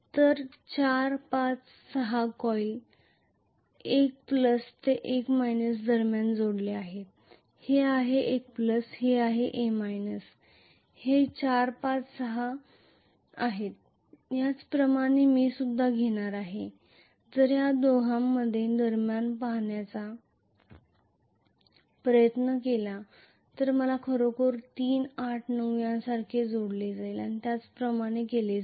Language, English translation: Marathi, So 4, 5 and 6 coils are connected between 1 plus and 1 minus this is 1 plus this is 1 minus this is 4, 5, 6 similarly I am going to have, if I try to look between these two I will have actually 7, 8, 9 connected like this 3 coils will be connected like this and I will have a brush here